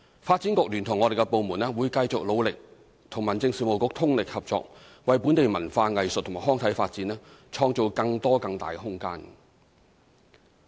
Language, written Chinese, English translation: Cantonese, 發展局聯同我們的部門，會繼續努力與民政事務局通力合作，為本地文化、藝術及康體發展，創造更多更大的空間。, The Development Bureau and our departments will continue to fully cooperate with the Home Affairs Bureau in creating more and better room for the development of local culture arts recreation and sports